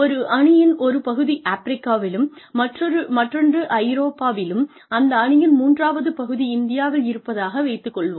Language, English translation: Tamil, If, one part of a team is sitting in Africa, the other is sitting in Europe, and the third part of that team is sitting in India